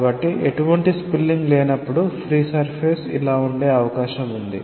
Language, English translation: Telugu, So, when there cannot be any spilling, there is even a chance that the free surface is like this